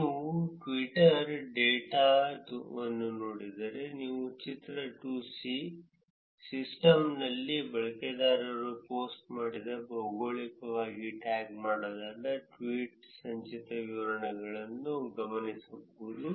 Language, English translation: Kannada, If you look at the Twitter data, we can observe that figure 2, the cumulative distribution of geographically tagged tweets posted by users in the system